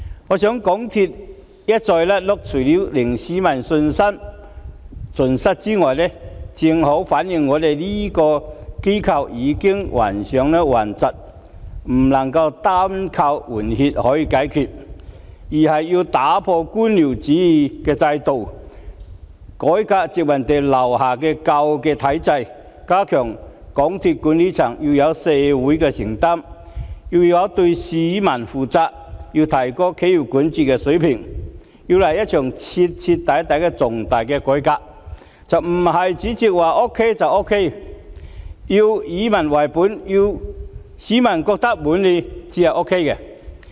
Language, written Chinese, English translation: Cantonese, 我認為港鐵公司一再"甩轆"，除了令市民信心盡失外，也正好反映這間機構已患上頑疾，不能夠單靠換血解決問題，而是要解決官僚主義制度，改革殖民地時代留下來的舊體制，加強港鐵管理層對社會的承擔及對市民所負的責任，並提高企業管治水平，來一場徹底的重大改革，不是主席說 OK 就 OK， 而是要以民為本，要市民覺得滿意才 OK。, I think the repeated blunders by MTRCL not only have wiped out public confidence but also shown that the organization is suffering from a serious illness that cannot be treated with staff replacement alone . Instead bureaucracy has to be addressed and the old system from the colonial era has to be reformed in order to strengthen MTRCL Managements social commitment and public responsibility as well as enhance its corporate governance . A comprehensive major reform is in order